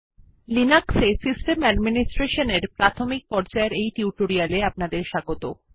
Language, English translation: Bengali, Hello and welcome to the Spoken Tutorial on Basics of System Administration in Linux